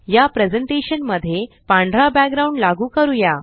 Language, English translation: Marathi, Lets apply a white background to this presentation